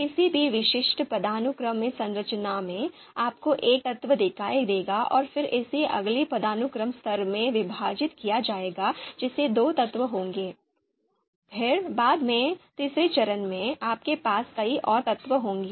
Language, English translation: Hindi, So in any typical hierarchical structure, you would see you know you know one element and then it is we have two, it is divided into you know in the next hierarchical level you have two elements, then later on third step, you will have many more number of elements